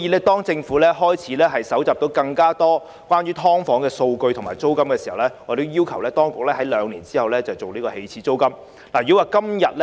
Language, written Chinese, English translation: Cantonese, 當政府日後搜集到更多關於"劏房"租金的數據後，我們要求當局在兩年後就訂立起始租金展開工作。, After the Government collects more data on SDU rents in future we call on the authorities to start the work of setting an initial rent in two years time